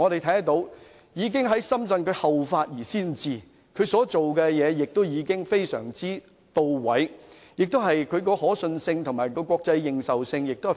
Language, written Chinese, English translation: Cantonese, 由此可見，內地已經後發先至，仲裁工作亦相當到位，已建立相當強的可信性和國際認受性。, From this we can see that the Mainland has already caught up and surpassed Hong Kong . Given its remarkable efficiency CIETACs arbitration work has established very strong credibility and international recognition